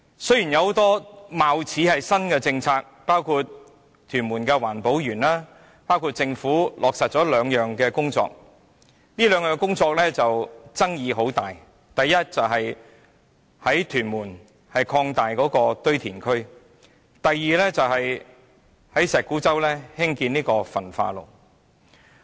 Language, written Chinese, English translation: Cantonese, 雖然有很多貌似新的政策，包括屯門環保園及落實另外兩項工作，但該兩項工作的爭議很大。該兩項工作分別是在屯門擴大堆填區及在石鼓洲興建焚化爐。, It appears that many new initiatives have been introduced during his term of office including the setting up of an EcoPark in Tuen Mun and the implementation of two environmental projects namely the Tuen Mun landfill extension and the building an incinerator at Shek Kwu Chau . However the latter two projects are highly controversial